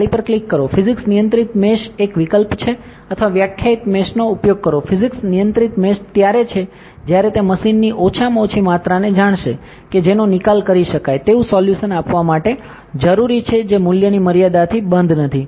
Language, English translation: Gujarati, Click on the mesh, physics controlled mesh is one option or use a defined mesh, physics controlled mesh is when it will know the minimum amount of machine that is required to give a; what you call, solvable solution not a above the value that is bounded out that is a solution that is bounded